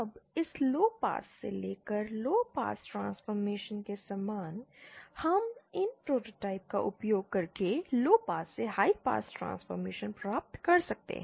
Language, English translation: Hindi, Now similar to this lowpass to lowpass transformation, we can use these prototypes to also achieve lowpass to high pass transformation